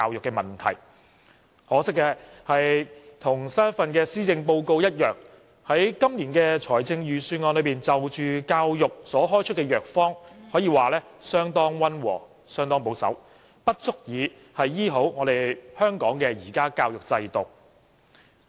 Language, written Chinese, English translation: Cantonese, 可惜，與最新一份施政報告一樣，今年的預算案就教育問題所開出的藥方可以說是相當溫和及保守，不足以治癒香港現時教育制度的弊病。, It is a pity that just like the latest Policy Address this years Budget has prescribed gentle and conservative medicines for treating the problems of our education system . The medication is simply not strong enough